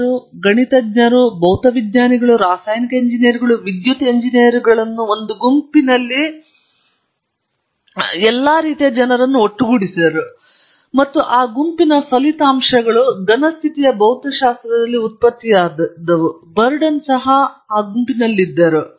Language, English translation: Kannada, They brought together mathematicians, physicists, chemical engineers, electrical engineers all kinds of people in one group and that group produced most of the results in solid state physics, even Bardeen was in that group